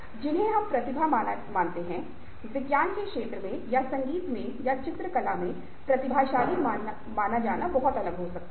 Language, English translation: Hindi, who is considered a genius, lets say, in field of science, or in music, or in painting, can be very, very different